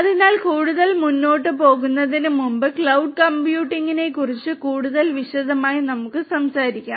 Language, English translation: Malayalam, So, before we go in further, let us talk about cloud computing in little bit more detail